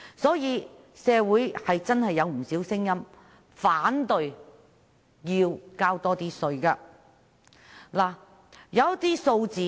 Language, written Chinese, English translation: Cantonese, 所以，社會真的有不少聲音反對要多交稅。, So we can indeed hear many voices against paying more taxes in society